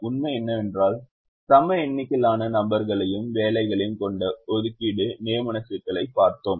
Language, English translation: Tamil, fact: till now we looked at assignment problems that have an equal number of people and jobs